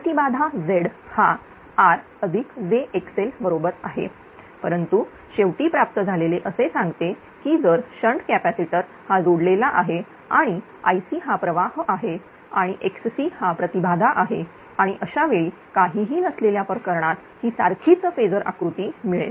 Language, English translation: Marathi, Impedance is Z is equal to r plus jxl and Z is equal to here r plus jxl but at the receiving end say if shunt capacitor is connected current is I c and it is reactance is x c and this is the same phasor diagram as in the case of without anything right